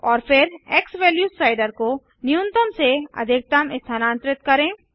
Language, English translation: Hindi, And then move the slider xValue from minimum to maximum